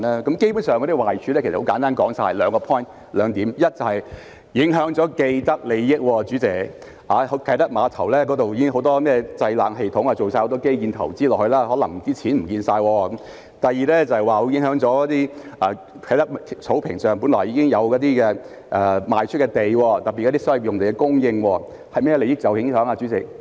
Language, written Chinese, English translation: Cantonese, 基本上，壞處其實很簡單，只有數點：第一是影響了既得利益，因為啟德碼頭一帶已有很多製冷系統，已進行了很多基建投資，故所花的錢可能會失去；第二是會影響在啟德草坪上一些已賣出的土地，特別是影響所謂的用地供應，甚麼利益會受影響呢？, Basically the downsides are actually simple and there are only a few points The first is that it will jeopardize vested interests because many cooling systems have been developed near the Kai Tak pier and lots of infrastructure investment has been made and therefore the money that has been spent may hence be thrown down the drain . Second it will affect the sites already sold at the lawn in Kai Tak and in particular it will affect the so - called land supply . What interests will be affected?